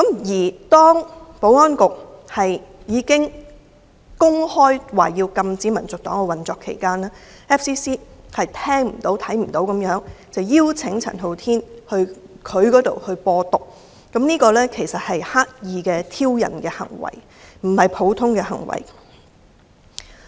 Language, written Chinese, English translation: Cantonese, 在保安局公開宣布將禁止香港民族黨運作後 ，FCC 視而不見、聽而不聞，仍然邀請陳浩天到 FCC" 播獨"，這是刻意的挑釁行為。, After the Security Bureaus announcement that HKNP would soon be banned FCC paid no heed and still invited CHAN to spread the idea of Hong Kong independence at FCC . This was an act of deliberate provocation